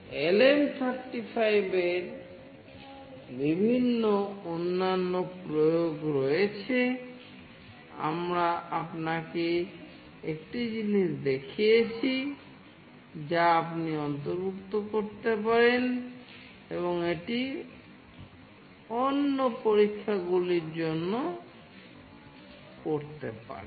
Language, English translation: Bengali, There are various other application of LM35, we have shown you one thing, which you can incorporate and do it for other experiments